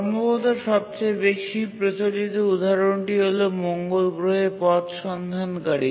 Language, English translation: Bengali, But possibly the most celebrated example is the Mars Pathfinder